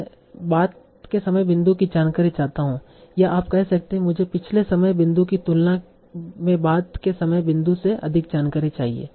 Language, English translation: Hindi, Or you can say that I want more information from the later time point than the previous time point